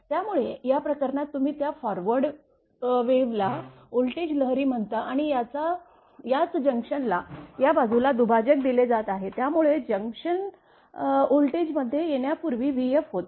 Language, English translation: Marathi, So, in this case also that this is your what you call that forward wave that is voltage wave and this will this is the junction where line is bifurcated this side is receiving end, so before arrival at the junction voltage was v f right